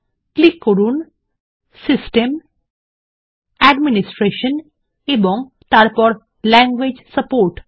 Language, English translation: Bengali, Click on System, Administration and Language support